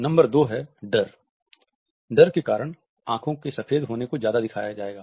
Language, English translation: Hindi, Number 2, fear; for fear more of the whites of the eyes will be shown